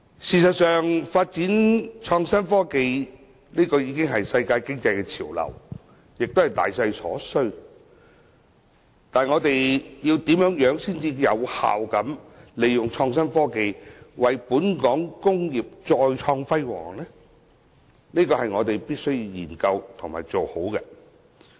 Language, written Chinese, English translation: Cantonese, 事實上，發展創新科技已是世界經濟潮流，也是大勢所趨，但我們如何才可有效利用創新科技，為本港工業再創輝煌，這便是我們必須研究和做好的。, As a matter of fact the development of innovation and technology IT has become a global and a major economic trend . Nevertheless we should examine how we can effectively capitalize on IT to once again attain success for Hong Kongs industries